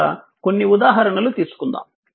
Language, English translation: Telugu, So, we will take some example